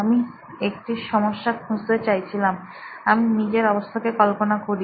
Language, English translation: Bengali, I wanted to find a problem, I imagine my own situation